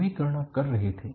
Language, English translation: Hindi, They were calculating